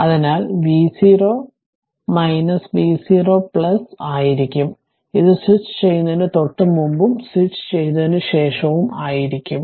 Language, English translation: Malayalam, So, v 0 minus will be v 0 plus; this will just before switching, and just after switching right